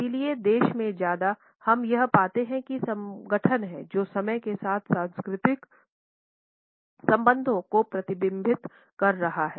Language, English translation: Hindi, So, more than the country we find that it is the organization which is reflecting the cultural associations with time